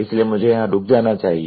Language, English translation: Hindi, So, let me stop here